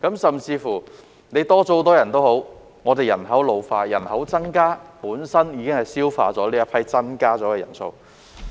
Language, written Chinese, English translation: Cantonese, 甚至乎人數有所增加，但我們人口老化、人口增加，本身已抵銷增加的人數。, Even if there are more doctors the increase is offset by our ageing and growing population